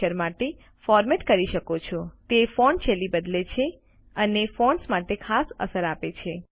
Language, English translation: Gujarati, You can format text for Character, that is change font styles and give special effects to fonts